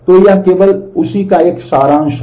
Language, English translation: Hindi, So, this is just a summary of that